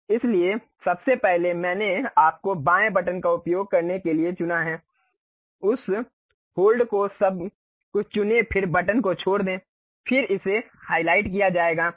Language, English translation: Hindi, So, first of all I have selected you use left button, click that hold select everything, then leave the button then it will be highlighted